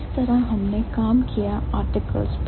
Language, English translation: Hindi, This is how we worked for the articles